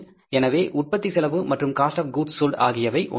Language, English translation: Tamil, So, cost of production and cost of goods sold is the one is the same thing